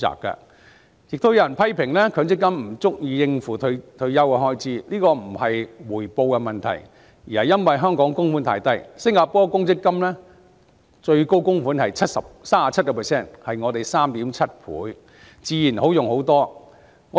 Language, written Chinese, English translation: Cantonese, 另外，有人批評強積金不足以應付退休的開支，但這並不是回報的問題，而是因為香港的供款比例太低，新加坡公積金最高供款高達 37%， 是香港的 3.7 倍，自然比較足夠應付開支。, Moreover some people criticize MPF as not enough to meet retirement expenses . This boils down not to a matter of return but an extremely low contribution ratio in Hong Kong . The Singapore Provident Fund has a high maximum level of contribution of 37 % which is 3.7 times that of Hong Kong